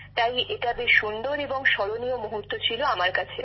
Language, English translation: Bengali, So it was perfect and most memorable moment for me